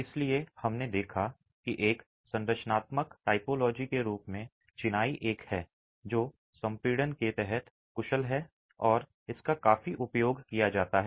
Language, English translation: Hindi, So, we saw that as a structural typology, masonry is one that is efficient under compression and that is utilized quite a bit